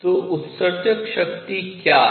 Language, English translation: Hindi, So, what is emissive power